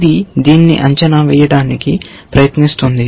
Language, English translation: Telugu, This one is trying to evaluate this